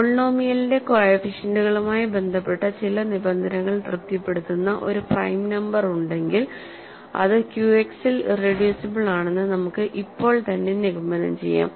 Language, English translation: Malayalam, If there is a prime number satisfying some conditions with respect to the coefficients of the polynomial, we can right away conclude that its irreducible in Q X